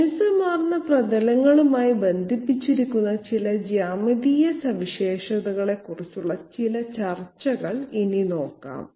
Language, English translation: Malayalam, Now some discussion about some geometric features connected with smooth surfaces